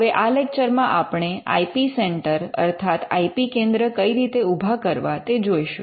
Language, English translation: Gujarati, Now, in this lecture we will look at setting up IP centres